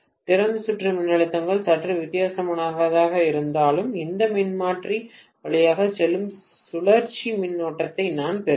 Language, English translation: Tamil, Even if the open circuit voltages are slightly different, I will have a circulating current simply going through this transformer